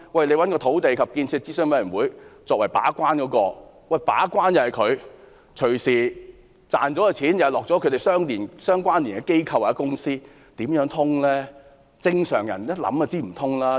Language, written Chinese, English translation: Cantonese, 政府找土地及建設諮詢委員會來為計劃把關，但所賺的錢隨時也是落入與委員有關連的機構或公司的口袋，怎說得通呢？, The Government has identified the Land and Development Advisory Committee as the gatekeeper but profits may easily go into the pockets of organizations or companies having connection with members of the Advisory Committee . How is it tenable?